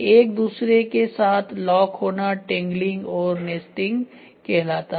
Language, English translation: Hindi, Locking with one another is tangling and nesting right